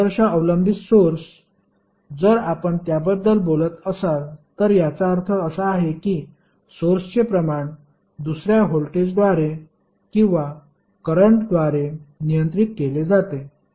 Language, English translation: Marathi, So, ideal dependent source if you are talking about it means that the source quantity is controlled by another voltage or current